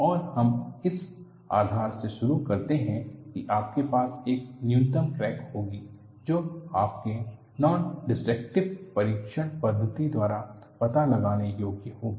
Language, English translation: Hindi, And we start with a premise that, you will have a minimum crack that would be detectable by your nondestructive testing methodology